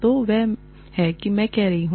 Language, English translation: Hindi, So, that is what, I am saying